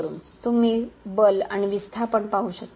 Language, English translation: Marathi, You can see the force and the displacement